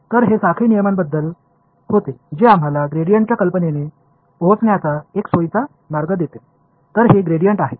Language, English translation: Marathi, So, this was about the chain rule which gave us the a very convenient way to arrive at the idea of a gradient so, this is the gradient